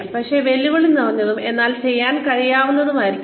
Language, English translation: Malayalam, They should also be challenging, but doable